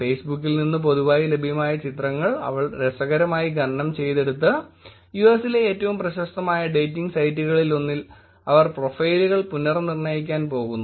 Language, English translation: Malayalam, They interestingly mined publicly available images from Facebook and they going to re identify profiles just on one of the most popular dating sites in the US